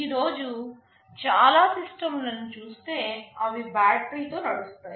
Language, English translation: Telugu, Most of the systems we see today, they run on battery